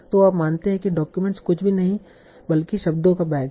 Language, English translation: Hindi, So you assume that document is nothing but this back of words